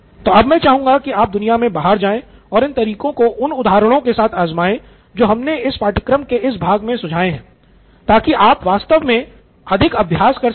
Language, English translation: Hindi, So, I would like you to go out in the world and try these methods with the examples that we have suggested in this part of this course so that you can actually get more practice